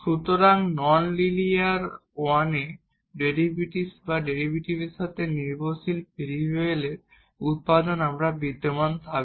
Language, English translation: Bengali, So, in the non linear one the product of the derivative or the dependent variable with the derivative we will exist